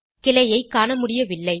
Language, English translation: Tamil, We do not see the branching